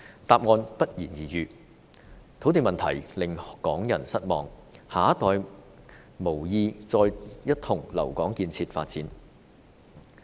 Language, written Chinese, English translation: Cantonese, 答案不言而喻，土地問題令港人失望，下一代無意再一同留港建設發展。, The land problem has caused disappointment among Hongkongers and the next generation does not wish to stay in Hong Kong for development